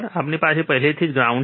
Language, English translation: Gujarati, And we already have grounded